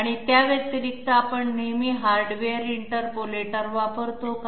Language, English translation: Marathi, And in addition to that, are we always using hardware interpolators